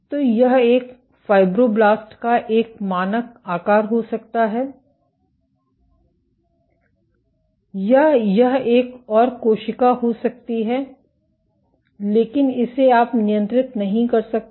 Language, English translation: Hindi, So, this might be a standard shape of a fibroblast or this might be another cell so, but this you cannot control